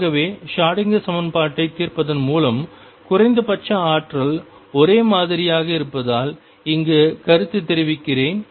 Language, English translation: Tamil, So, let me comment here since the minimum energy is the same as by solving the Schrödinger equation